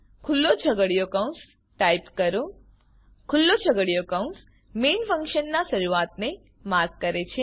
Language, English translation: Gujarati, Type opening curly bracket { The opening curly bracket marks the beginning of the function main